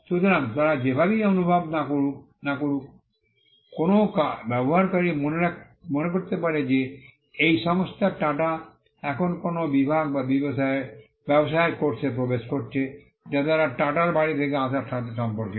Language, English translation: Bengali, So, regardless of which feel they are, a user may get an impression that this company TATA has now entered a segment or a course of business which they would relate to coming from the house of TATA’s